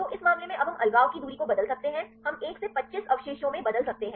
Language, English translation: Hindi, So, in this case now we can change the distance of separation we can change from 1 to 25 residues